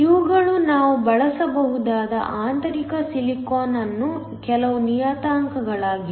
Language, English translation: Kannada, These are some of the parameters of intrinsic silicon that we can use